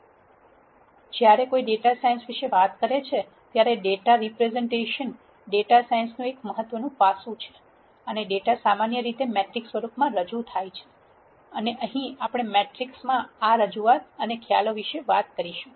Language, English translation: Gujarati, So, when one talks about data science, Data Representation becomes an im portant aspect of data science and data is represented usually in a matrix form and we are going to talk about this representation and concepts in matrices